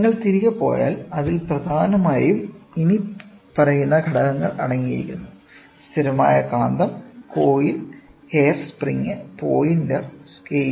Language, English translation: Malayalam, So, if you go back, it essentially consist of the following components; permanent magnet, coil, hair spring, pointer and scale